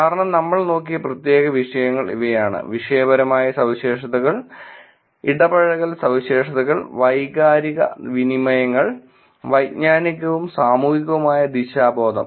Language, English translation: Malayalam, Since, specific questions that were look at are; Topical Characteristics, Engagement Characteristics, Emotional Exchanges, and Cognitive and Social Orientation